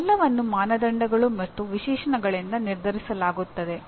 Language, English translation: Kannada, these are all decided by the criteria and specifications